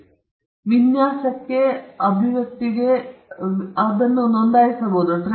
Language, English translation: Kannada, The same is for design; designs can be described and they can be registered